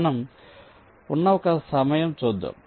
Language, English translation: Telugu, so lets look at one of the time